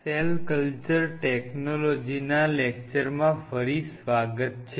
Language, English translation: Gujarati, Welcome back to the lecture series in Cell Culture Technology